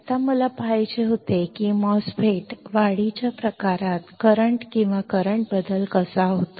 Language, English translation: Marathi, Now, I had to see how the rate of change of current or the current change occurs in the enhancement type MOSFET